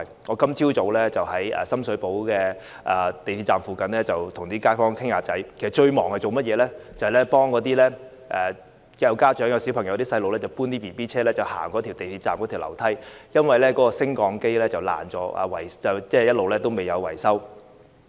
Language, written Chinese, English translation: Cantonese, 我今早在深水埗港鐵站附近與街坊閒聊，其間最忙的是協助帶着小孩的家長搬運嬰兒車，上落港鐵站內的樓梯，因為升降機損壞後一直尚未維修。, I chatted with some residents in the neighbourhood near the Sham Shui Po MTR Station this morning during which the busiest part for me was to assist parents with children in carrying their baby strollers up and down the stairs in the MTR station as the lifts have not been repaired after being damaged